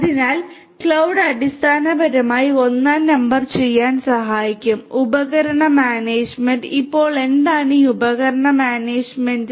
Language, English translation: Malayalam, So, cloud basically will help in doing number one device management; device management, now what is this device management